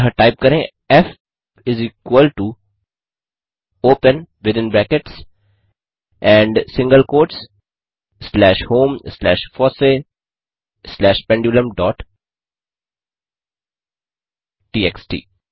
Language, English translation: Hindi, So type f is equal to open within brackets and single quotes slash home slash fossee slash pendulum dot txt